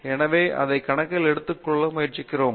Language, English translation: Tamil, So, we try to take that into account